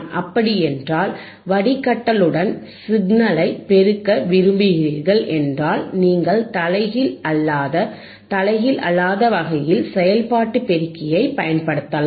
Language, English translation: Tamil, So, if you want to amplify the signal along with filtering, you can use the operational amplifier in inverting or non inverting type